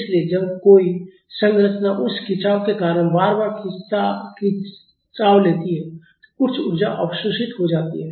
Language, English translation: Hindi, So, when a structure is repeatedly straining because of that straining some energy is absorbed